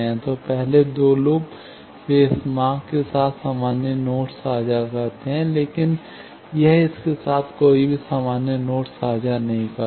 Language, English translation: Hindi, So, first two loops, they do share common nodes with this path; but this one does not share any common node with this one